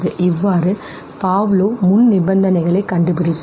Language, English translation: Tamil, So this was what Pavlov now found, now the prerequisites